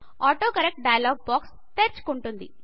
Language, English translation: Telugu, The AutoCorrect dialog box will open